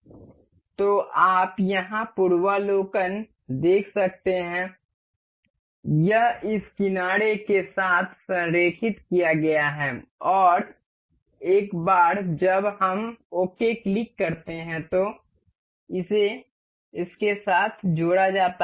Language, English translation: Hindi, So, you can see the preview here this is aligned with this edge and once we click ok, this is mated with this